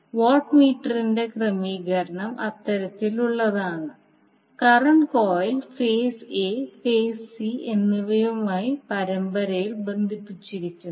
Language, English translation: Malayalam, In this case if you see the arrangement of watt meters the current coil is connected in series with the phase a and phase c